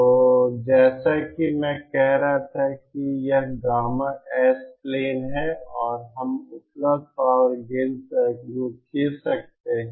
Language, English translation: Hindi, So as I was saying that this is the gamma S plain and we can draw the available power gain circles